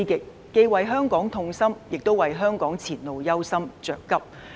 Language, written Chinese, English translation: Cantonese, 我們既為香港痛心，亦為香港前路憂心、着急。, We feel sorrowful about Hong Kong and also worried and anxious about the way forward of Hong Kong